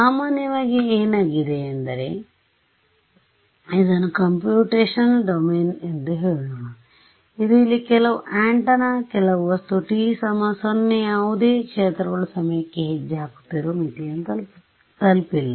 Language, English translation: Kannada, So, typically what has happened is let us say this is my computational domain over here this is some antenna some object over here at time t is equal to 0 none of the fields have reached the boundary right we are stepping in time